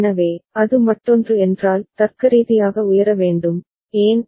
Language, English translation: Tamil, So, if it is other one need to be held at logic high, why